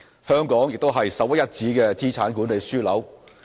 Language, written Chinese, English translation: Cantonese, 香港也是首屈一指的資產管理樞紐。, Hong Kong is also a premier wealth and asset management hub